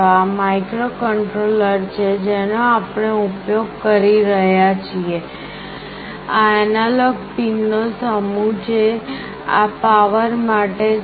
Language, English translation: Gujarati, This is the microcontroller that we are using, these are the set of analog pins, these are for the power